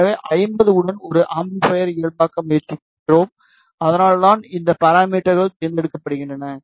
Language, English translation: Tamil, So, we are trying to normalize an amplifier with 50 Ohm that is why these parameters are selected